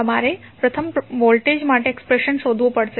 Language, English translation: Gujarati, You have to first find the expression for voltage